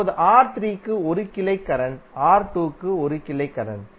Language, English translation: Tamil, Similarly, 1 branch current for R3 and 1 branch current for R2